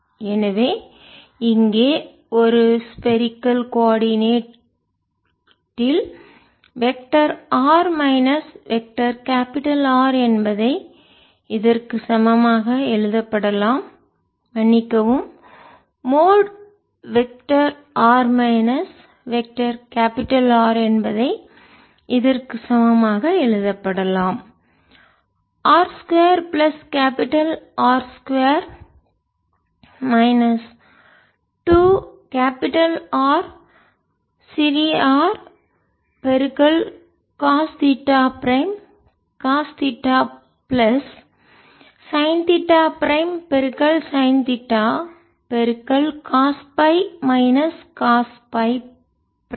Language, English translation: Tamil, so if we write the value of mode r minus vector r, we can see the integral sin theta prime cos theta prime d theta prime d phi prime over r square plus capital r square minus two r capital r cos theta cos theta plus theta prime sin theta cos phi minus phi